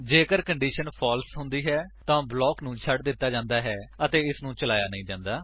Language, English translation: Punjabi, If the condition is false, the block is skipped and it is not executed